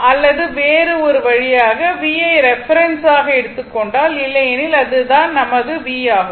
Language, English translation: Tamil, Or other way we can write if you take the v as the reference, let me clear it, otherwise your this is my v and this is my I, right